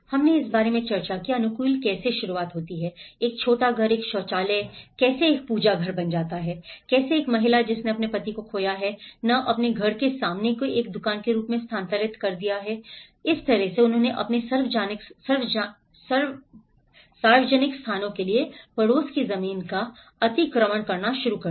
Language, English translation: Hindi, We did discuss about how adaptation start, how a small house, how a toilet becomes a worship area, how a woman who lost her husband have shifted her house front as a shop so, in that way, they started encroaching the neighbourhood lands for their public places